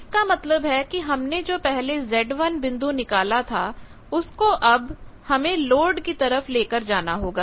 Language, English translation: Hindi, That means, from the earlier point which you have located the z one point this one you will have to now move towards load